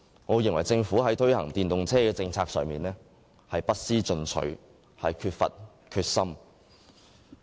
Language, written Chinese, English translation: Cantonese, 我認為政府在推行電動車政策上不思進取，欠缺決心。, In my view the Government does not want to make any improvement and lacks any determination when implementing an EV policy